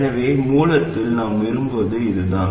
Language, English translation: Tamil, So this is the action that we want at the source